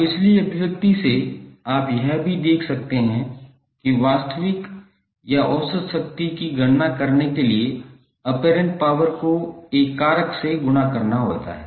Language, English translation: Hindi, Now from the previous expression you can also observe that apparent power needs to be multiplied by a factor to compute the real or average power